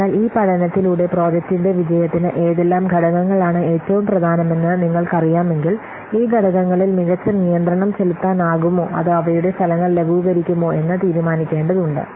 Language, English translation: Malayalam, So, with this study if you will know that which factors are most important to success of the project, then we need to decide whether we can exercise better control over these factors or otherwise will mitigate their effects